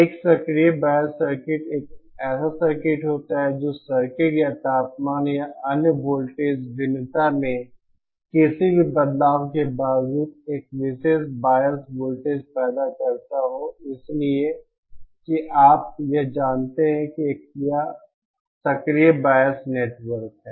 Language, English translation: Hindi, An active bias circuit is circuit which produces a particular bias voltage irrespective of any changes in the circuit or temperature or other voltage variation, so this this is you know an active biasing network